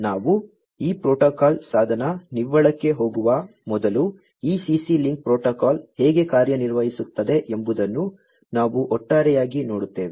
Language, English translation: Kannada, So, before we go to this protocol device net we will go through overall how this CC link protocol works